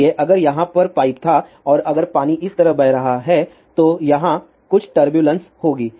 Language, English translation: Hindi, So, if there was a pipe over here and if the water is flowing like this there will be some turbulence over here